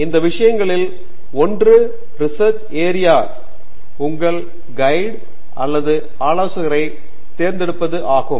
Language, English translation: Tamil, So, one of those things is selection of a research area and selection of your guide or advisor